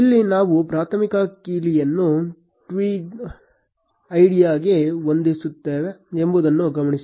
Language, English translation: Kannada, Note that here, we are setting the primary key as the tweet id